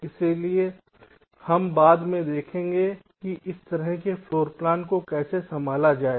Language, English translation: Hindi, so we shall see later that how to handle this kind of floorplan, right